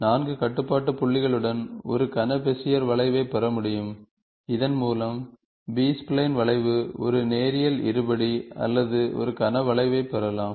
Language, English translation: Tamil, With four control points, it is possible to get a cubic Bezier curve, with which B spline curve, one can get a linear quadratic or a cubic curve